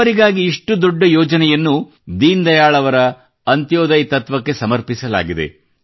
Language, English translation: Kannada, Such a massive scheme for the poor is dedicated to the Antyodaya philosophy of Deen Dayal ji